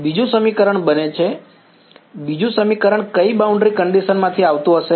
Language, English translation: Gujarati, Second equation becomes second equation would be coming from which boundary condition